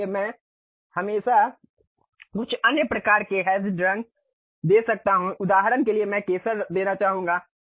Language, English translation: Hindi, So, I can always give some other kind of hashed kind of colors for example, I would like to give saffron